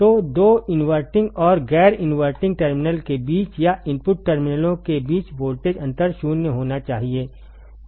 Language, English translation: Hindi, So, voltage difference between the two inverting and non inverting terminal or between the input terminals to be 0, to be 0 ok